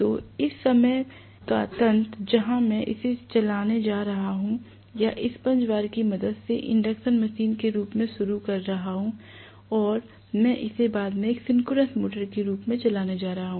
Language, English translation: Hindi, So this kind of mechanism where I am going to run it initially or start as an induction machine with the help of damper bars and I am going to run it later as a synchronous motor